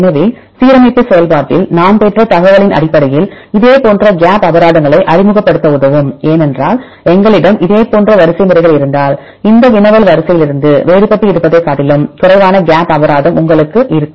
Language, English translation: Tamil, So, the information we obtained in the alignment process about the variability of the similar sequences which will help to introduce gap penalties because if we have similar sequences right then you have less gap penalties compared with the one which are having the distant each other from this query sequence